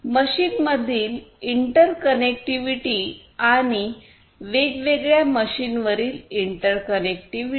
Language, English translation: Marathi, Interconnectivity within the machine and interconnectivity across the different machines